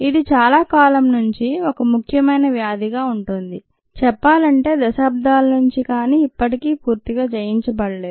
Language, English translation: Telugu, it is been an important disease for a very long time, decades may be, and still it is not been completely conquered